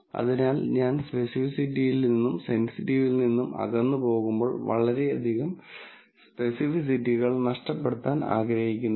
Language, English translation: Malayalam, So, as I go away from sensitivity, I do not want to lose too much specificity